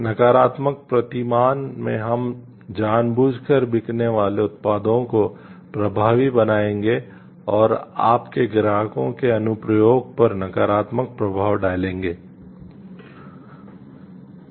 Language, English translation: Hindi, In the negative paradigm we will be knowingly selling products that it effective and that you have negative effect to customers’ applications